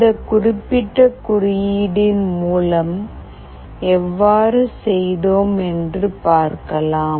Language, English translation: Tamil, Let us see how we have done in this particular code